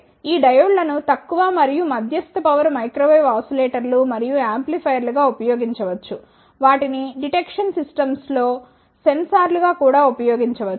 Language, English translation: Telugu, Now, if I talk about the applications these diodes can be used in as a low and medium power microwave oscillators and amplifiers, they can also be used as sensors in detection systems